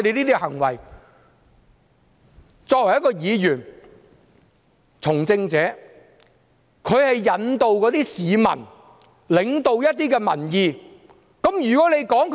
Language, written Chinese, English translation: Cantonese, 作為一名議員、一位從政者，應該引導一些市民，領導一些民意。, As a Legislative Council Member and politician we should guide some citizens and lead some public opinions